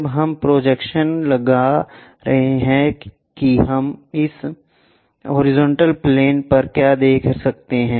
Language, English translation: Hindi, When we are projecting what we can see is on this horizontal plane